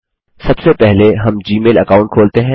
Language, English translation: Hindi, First we open the Gmail account